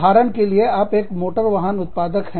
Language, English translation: Hindi, For example, you are an automotive manufacturer